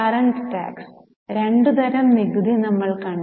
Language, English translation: Malayalam, We have seen there are two types of tax